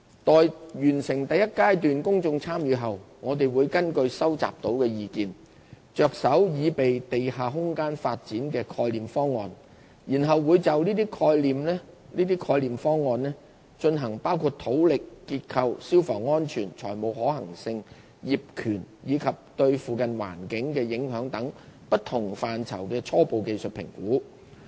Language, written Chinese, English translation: Cantonese, 待完成第一階段公眾參與後，我們會根據收集到的意見，着手擬備地下空間發展的概念方案，然後會就這些概念方案，進行包括土力、結構、消防安全、財務可行性、業權，以及對附近環境的影響等不同範疇的初步技術評估。, On completing the PE1 exercise we will develop conceptual schemes for underground space development with due consideration of the views received . Preliminary technical assessments on different aspects of these conceptual schemes including geotechnicalstructural constraints fire safety financial viability land ownership and impact on the surrounding environment will then be undertaken